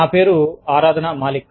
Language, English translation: Telugu, My name is Aradhna Malik